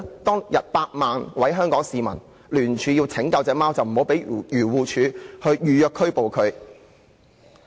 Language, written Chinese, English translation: Cantonese, 當天，有百萬位香港市民聯署拯救波子，要求漁護署不要預約拘捕牠。, That day as many as a million Hong Kong people signed up to save it requesting AFCD not to arrest it by appointment